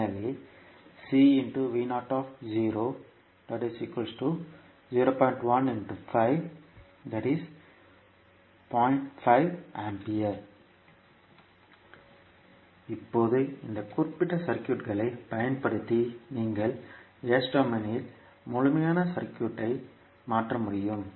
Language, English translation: Tamil, Now, using this particular circuit you can transform the complete circuit in the S domain